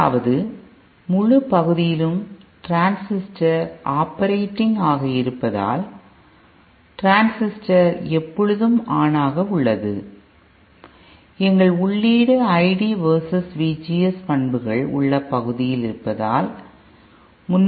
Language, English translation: Tamil, First of all, note that because it is operating for the entire region that is the transistor is always on, our input will have to be in that region of the I D versus V G S characteristics where the entire 360 degree can be accommodated